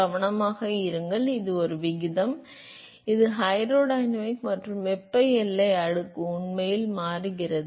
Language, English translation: Tamil, Be careful it is a ratio, it is both the hydrodynamic and the thermal boundary layer actually is changing